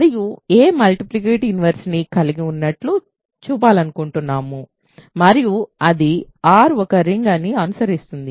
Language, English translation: Telugu, We want to show that a has a multiplicative inverse and then it will follow that R is a ring